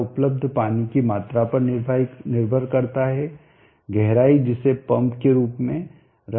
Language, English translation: Hindi, It depends upon the amount of the water that is available the depth to which the pump as been placed